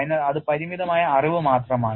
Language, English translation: Malayalam, So, that is only limited knowledge